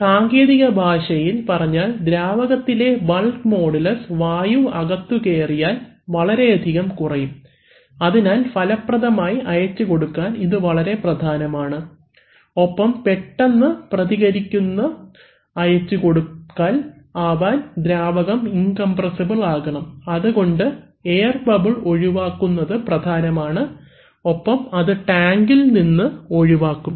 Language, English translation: Malayalam, So, in technical terms the bulk modulus of the fluid will, can fall drastically if you have entrained air in it, so is very important for, as we said that for effective transmission and fast quick responding transmission that the fluid is incompressible, so therefore it is important that air bubbles have to be removed and they get removed in the tank